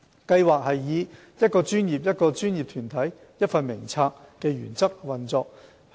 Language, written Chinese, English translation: Cantonese, 計劃以"一個專業、一個專業團體、一份名冊"的原則運作。, The Scheme operates under the principle of one profession one professional body one register